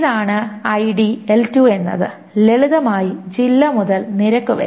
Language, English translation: Malayalam, This is ID and L2 is simply district to rate